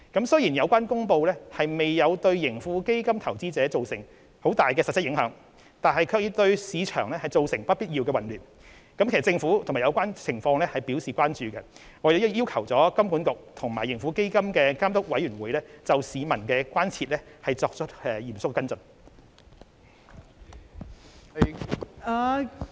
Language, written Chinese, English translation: Cantonese, 雖然有關公布未有對盈富基金投資者造成巨大的實質影響，但卻對市場造成不必要的混亂，政府對有關情況深表關注，亦已要求香港金融管理局及盈富基金監督委員會就市民的關注作出嚴肅跟進。, Although the announcements did not bring any material impact on the investors of TraHK they have given rise to unnecessary market chaos . The Government has expressed deep concern over the situation and requested the Hong Kong Monetary Authority HKMA and the Supervisory Committee of TraHK to take follow - up actions seriously to address the public concern